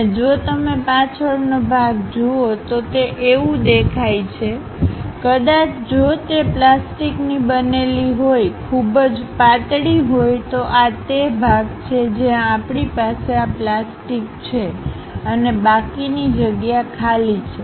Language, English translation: Gujarati, And if you are looking back side part, it looks like; perhaps if it is made with a plastic a very thin material, this is the part where we have this plastic material and the remaining place is empty